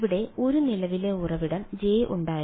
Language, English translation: Malayalam, There was a current source J over here